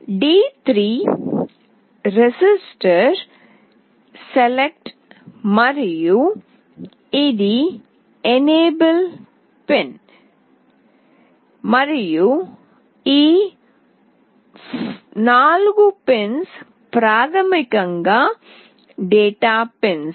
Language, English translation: Telugu, d3 is register select, and this is the enable pin, and these 4 pins are basically the data pins